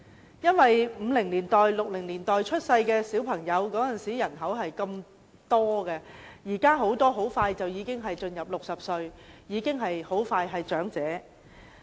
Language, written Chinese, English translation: Cantonese, 由於1950年代和1960年代出生的人很多，他們現在快將踏入60歲，很快便是長者。, The large number of people born in the 1950s and 1960s will approach 60 very soon and become senior citizens